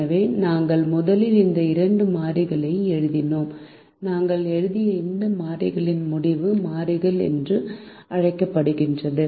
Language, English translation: Tamil, so the first wrote this variables, and this variable that we wrote are called decision variables